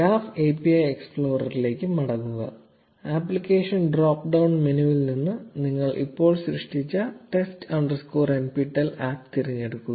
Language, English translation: Malayalam, Go back to the Graph API explorer, select the test underscore nptel app that you just created from the applications drop down menu